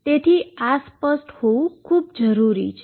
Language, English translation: Gujarati, So, this should be very clear